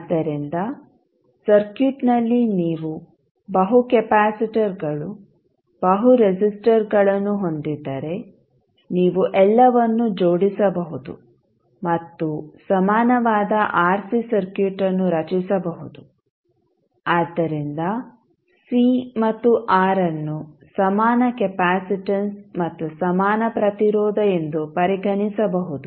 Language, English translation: Kannada, So, if you have multiple capacitors multiple resistors in the circuit, you can club all of them and create an equivalent RC circuit, so where c and r can be considered as an equivalent capacitance and equivalent resistance